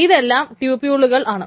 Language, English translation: Malayalam, So this is all the tuples